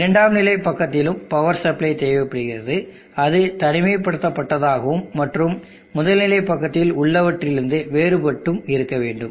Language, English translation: Tamil, You need to have a power supply in the secondary side also, that which is isolated and different from what is on the primary side